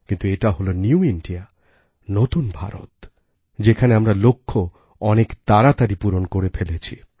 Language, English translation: Bengali, But this is New India, where we accomplish goals in the quickest time possible